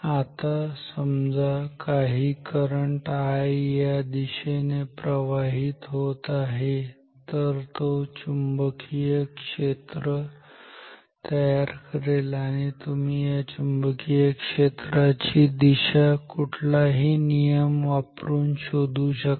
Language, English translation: Marathi, Now if some current I is flowing in this direction, then it will create some magnetic field and you can find the direction of the magnetic field using any rules you like